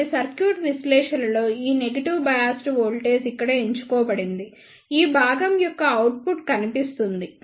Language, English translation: Telugu, So, that is why in the circuit analysis this negative biased voltage is chosen here the output will appear for this much of portion